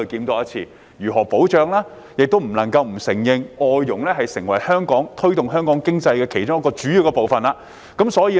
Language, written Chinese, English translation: Cantonese, 我們亦不得不承認，外傭已成為推動香港經濟的其中一個主要元素。, We cannot deny that FDHs have become one of the major drivers of the Hong Kong economy